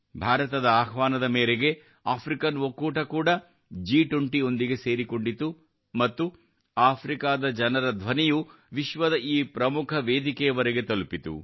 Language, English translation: Kannada, The African Union also joined the G20 on India's invitation and the voice of the people of Africa reached this important platform of the world